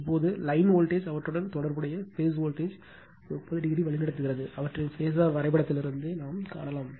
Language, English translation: Tamil, Now, line voltage is lead their corresponding phase voltages by 30 degree that also we can see from their phasor diagram right